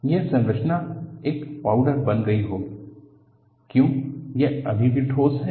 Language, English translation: Hindi, This structure would have become a powder, while it still remains as solid